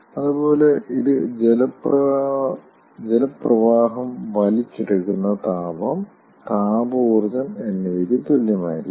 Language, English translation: Malayalam, similarly, this will be equal to the heat picked up, thermal energy picked up by the water stream